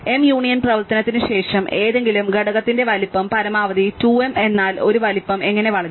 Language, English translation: Malayalam, So, the size of any component after m union operation at most 2 m, but how does a size grow